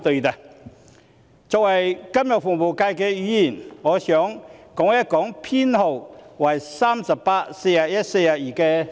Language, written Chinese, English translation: Cantonese, 我作為金融服務界的議員，想談談修正案編號38、41及42。, As a Member from the financial services sector I would like to talk about Amendment Nos . 38 41 and 42